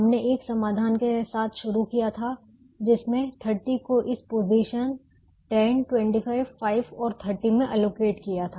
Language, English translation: Hindi, we started with a solution which had thirty allocated to this position: ten, twenty five, five and thirty